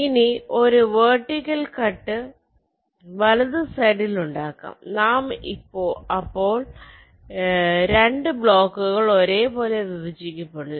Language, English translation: Malayalam, now apply a vertical cut in the right hand side, so these two blocks will now get divided similarly